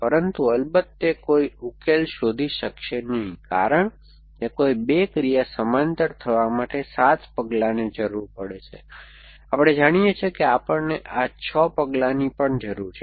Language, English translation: Gujarati, But, of course it will not find a solutions because for 2 no op action to be happen in parallel this must need 7 steps, we know we need this 6 steps anywhere